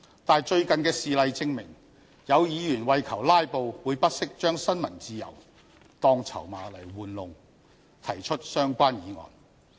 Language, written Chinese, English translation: Cantonese, 但是，最近的事例證明，有議員為求"拉布"，會不惜將新聞自由當籌碼玩弄，提出相關議案。, However recent examples prove that some Members will filibuster at any cost and will even sacrifice freedom of the press to move the relevant motion